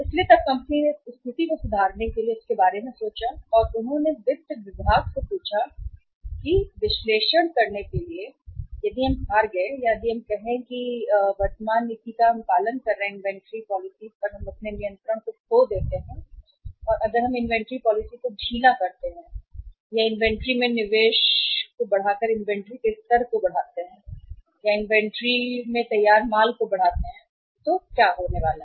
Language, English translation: Hindi, So then the company thought of improving this situation and they asked the finance department to do analysis that if we lose or if we say little means not to say follow the present policy of the inventory if we lose the control upon the inventory if we loosen the inventory policy and if we increase the level of inventory by increasing the investment of uh investment in the inventory in the finished goods of inventory so what is going to happen